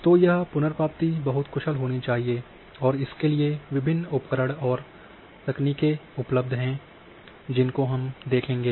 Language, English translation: Hindi, So, this retrieval has to be very efficient and there are different tools and techniques are available so which we will see